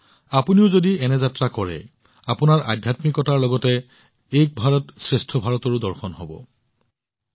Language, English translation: Assamese, If you too go on such a journey, you will also have a glance of Ek Bharat Shreshtha Bharat along with spirituality